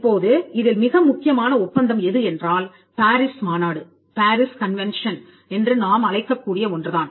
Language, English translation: Tamil, Now, the most important agreement is what we call the PARIS convention